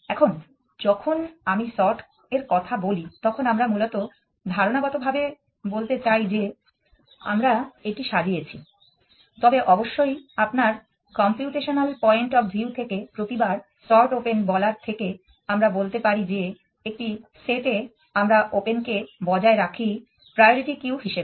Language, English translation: Bengali, Now, when I say sort we essentially mean conceptually we have sorting it, but of course from the computational point of you it would be quite silly to sort open this every time and, but we really do is that in set we maintain open is a priority cube